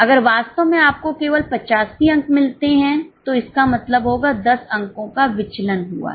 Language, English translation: Hindi, If actually you get only 85 marks, it will mean a variance of 10 marks